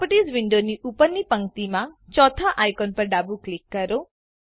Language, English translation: Gujarati, Left click the fourth icon at the top row of the Properties window